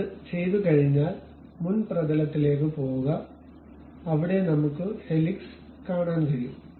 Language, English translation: Malayalam, Once it is done go to front plane where we can see this helix thing